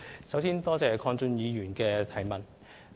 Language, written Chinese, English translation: Cantonese, 首先多謝鄺俊宇議員的補充質詢。, First I thank Mr KWONG Chun - yu for the supplementary question